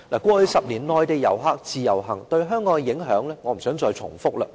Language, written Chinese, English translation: Cantonese, 過去10年，內地遊客自由行對香港的影響，我不想再贅述。, I think it is unnecessary to go into the details of the impact of Mainland visitors under the Individual Visit Scheme on Hong Kong in the past 10 years